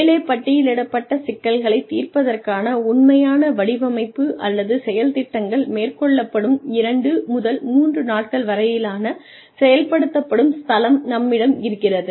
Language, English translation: Tamil, Then, we have the action forum of 2 to 3 days, where the actual designing, or action plans, to solve the problems, listed above are undertaken